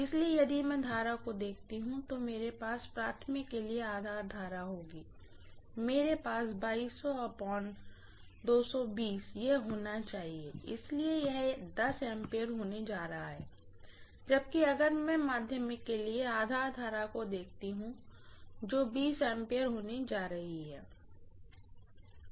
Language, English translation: Hindi, So if I look at the current I will have the base current for the primary, I will have it to be 2200 divided by 220, so that is going to be 10 ampere, whereas if I look at the base current for the secondary that is going to be 20 amperes, right